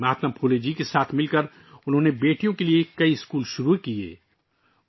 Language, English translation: Urdu, Along with Mahatma Phule ji, she started many schools for daughters